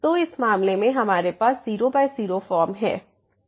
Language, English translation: Hindi, So, in this case we have the 0 by 0 form